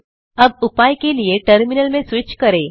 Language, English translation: Hindi, Now, Switch to the terminal for solution